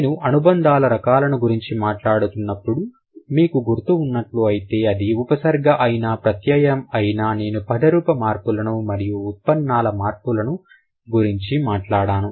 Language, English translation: Telugu, If you remember when I was talking about the types of affixes or the types of affixes, whether it is a prefix or a suffix, I did talk about inflectional morphemes and derivational morphems